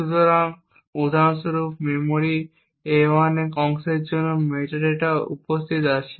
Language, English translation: Bengali, So, for example for the chunk of memory a1 the metadata is present